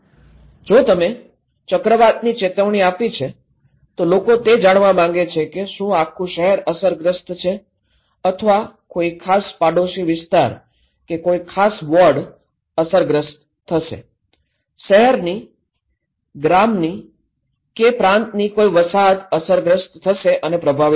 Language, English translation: Gujarati, If you have given a cyclone warning, people want to know is it the entire city that will be affected or is it any particular neighbourhood or particular ward that will be affected, particular settlements will be affected in a city, in a village, in a province